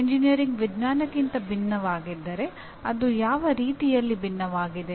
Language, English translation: Kannada, If engineering is different from science in what way it is different